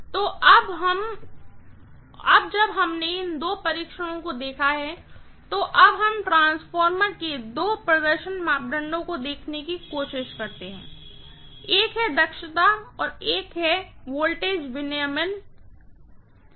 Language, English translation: Hindi, So, now that we have seen these two tests, let us try to now look at the two performance parameters of the transformer, one is efficiency and the next one is voltage regulation, right